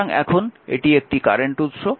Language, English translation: Bengali, So, this is a current source